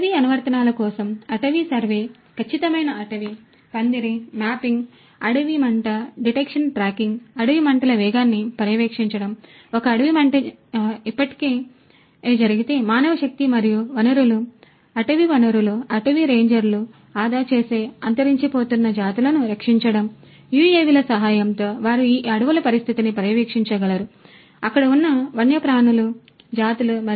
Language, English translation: Telugu, For forestry applications also forestry survey, precision forestry, canopy mapping, wildfire detection tracking, monitoring of speed of wildfire; if a wildfire has already taken place, protecting endangered species saving the time manpower and resources, forest resources, you know forest rangers for example, you know with the help of UAVs they can monitor the condition of these forests, the species the wildlife that is there